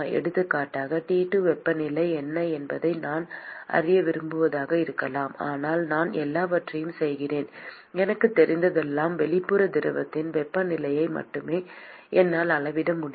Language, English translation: Tamil, For example, it could be I want to know what is the temperature T2, but I all I do all I know is I can only measure the temperatures of the outside fluid